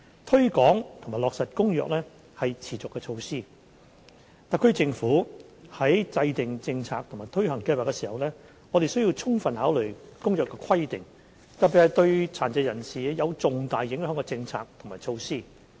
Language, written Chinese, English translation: Cantonese, 推廣及落實《公約》是持續的措施，特區政府在制訂政策和推行計劃，特別是對殘疾人士有重大影響的政策和措施時，需要充分考慮《公約》的規定。, The promotion and implementation of the Convention is a sustained undertaking and when the SAR Government formulates any policies and implements any plans especially when it draws up policies and measures that will have significant impact on persons with disabilities it must give full consideration to the provisions of the Convention